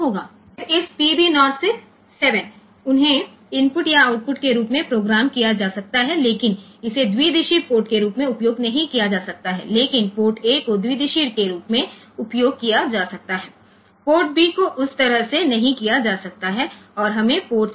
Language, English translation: Hindi, Then this PB 0 through 7 so, they can be programmed as input or output again the same thing, but it cannot be used as a bidirectional port, only port a can be used as bidirectional port B cannot be done that way and we have got port C